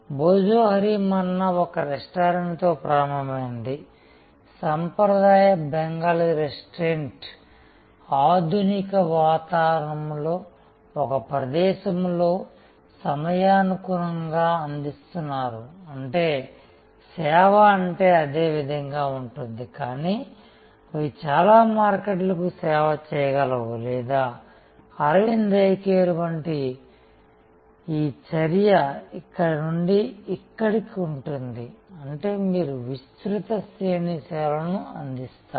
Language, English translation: Telugu, Bhojohori Manna started with one restaurant, serving traditional Bengali restaurant in modern ambiance in one location overtime they move here; that means, the service remains the same, but they can serve many markets or like Aravind Eye Care the move can be from here to here, which means you provide a wide ranges of services